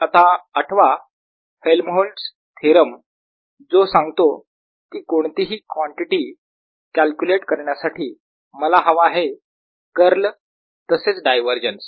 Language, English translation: Marathi, now recall helmholtz theorem that says that to calculate any quantity i need its curl as well as divergence